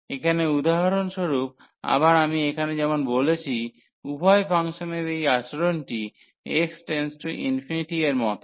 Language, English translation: Bengali, Here for example, so again as I said here this behavior of both the functions is same as x approaches to infinity